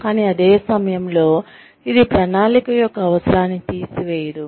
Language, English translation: Telugu, But, at the same time, it does not take away, the need for planning